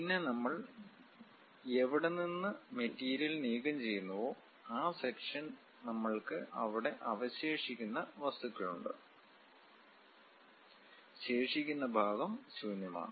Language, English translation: Malayalam, Then wherever the material we are removing, this sectional thing; we have left over material there, remaining part is empty